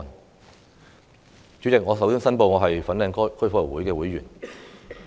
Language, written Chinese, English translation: Cantonese, 代理主席，我首先申報我是香港哥爾夫球會的會員。, Deputy President I must first declare that I am a member of the Fanling Golf Club